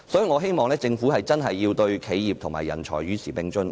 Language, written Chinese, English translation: Cantonese, 我希望政府真的能促使企業和人才與時並進。, I hope the Government will really encourage enterprises and talent to advance with the times